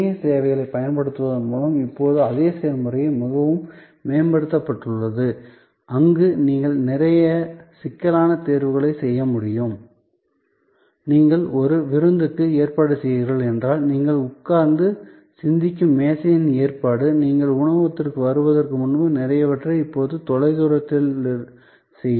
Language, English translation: Tamil, And that same process as now been improved a lot by using of a internet services, where you can do a lot of complicated selection, arrangement of the table where you will sit and think, if you are arranging a party, a lot of that can be now done remotely when before you arrive at the restaurant